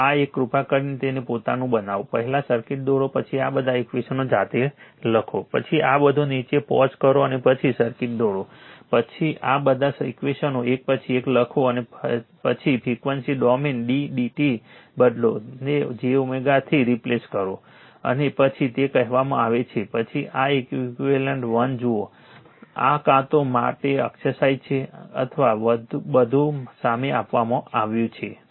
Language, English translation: Gujarati, So, this one you please make it of your own right, you write down all these equations of your own first you draw the circuit, then you right down all this your you pause it and then draw the circuit, then all this equations you write one by one alright and then you frequency domain you d d t you replace by j omega and then you will your what you call, then you see this one equivalent 1, this is either exercise for you or everything is given in front of you right